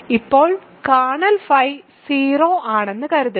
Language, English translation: Malayalam, So, now suppose kernel phi is 0